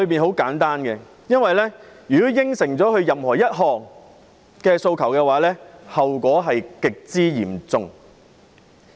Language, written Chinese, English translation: Cantonese, 很簡單，因為如果答允任何一項訴求，後果極之嚴重。, The reason is very simple . If any one of the demands is acceded to the consequence will be very serious